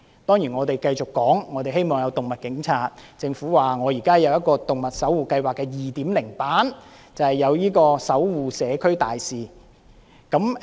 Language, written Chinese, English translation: Cantonese, 當然我們繼續要求增設動物警察，政府則表示現時有一個動物守護計劃的 2.0 版，即"動物守護社區大使"。, Of course we will continue to request the creation of animal police and meanwhile the Government states that Animal Caring Community Ambassador Programme a 2.0 version of the Animal Watch Scheme is now in place